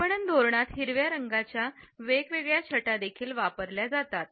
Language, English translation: Marathi, Different shades of green are also used in marketing strategy